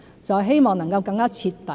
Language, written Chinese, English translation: Cantonese, 就是希望能夠更徹底。, For we want to be more thorough